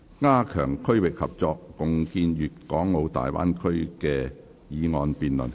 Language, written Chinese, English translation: Cantonese, "加強區域合作，共建粵港澳大灣區"的議案辯論。, The motion debate on Strengthening regional collaboration and jointly building the Guangdong - Hong Kong - Macao Bay Area